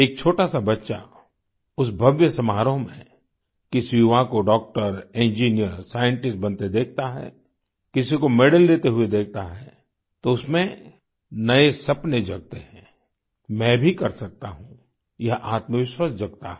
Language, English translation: Hindi, When a small child in the grand function watches a young person becoming a Doctor, Engineer, Scientist, sees someone receiving a medal, new dreams awaken in the child 'I too can do it', this self confidence arises